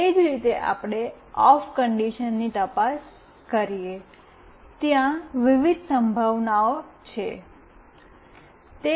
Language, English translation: Gujarati, Similarly, we check for OFF conditions, there are various possibilities